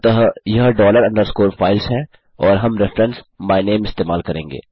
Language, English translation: Hindi, So this is dollar underscore files and well use the myname reference